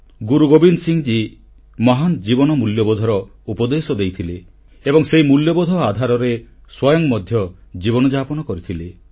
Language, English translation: Odia, Guru Gobind Singh ji preached the virtues of sublime human values and at the same time, practiced them in his own life in letter & spirit